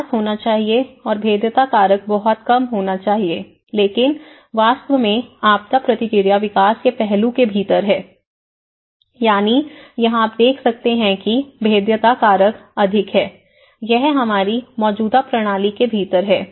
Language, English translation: Hindi, The development used to follow, right and then supposedly, the vulnerability factor should be very less but in reality, the disaster response is within the development aspect, that is where you see the vulnerability factor is more, it is within our existing system